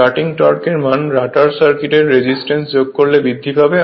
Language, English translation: Bengali, Starting torque increases your what you call by adding resistance in the rotor circuit